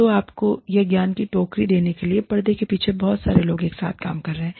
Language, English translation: Hindi, So, a whole lot of people are working together, behind the scenes, to give you this, basket of knowledge